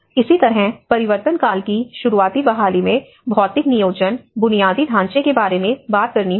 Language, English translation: Hindi, Similarly, the early recovery in transition one has to talk about the physical planning, the infrastructure